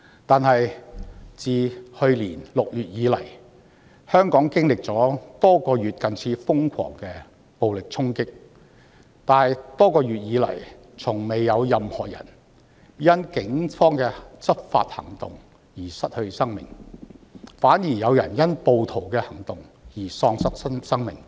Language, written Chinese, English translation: Cantonese, 不過，自去年6月以來，雖然香港經歷多月近似瘋狂的暴力衝擊，但卻從未有任何人因警方的執法行動而失去性命，反而有人因暴徒的行動而喪失性命。, Having said that though Hong Kong has experienced months of almost frantic violent charging since June last year no one died due to the Polices law enforcement operations . On the contrary someone died due to the acts of the rioters